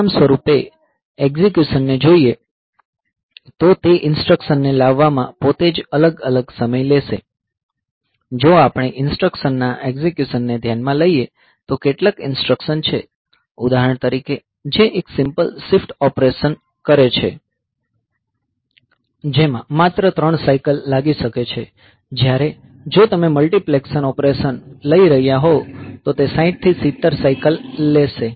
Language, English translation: Gujarati, So, as a result the execution, the fetching of that instruction itself will take different amount of time, if we look into the execution of instructions, there is some instructions; for example, which does a simple shift operation, that may take only three cycles, whereas, if you are taking the multiplication operation